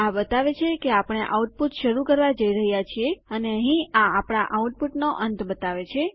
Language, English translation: Gujarati, This shows that were going to start our output and this here will show that were ending our output